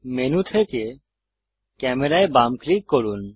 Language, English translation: Bengali, Left click camera from the menu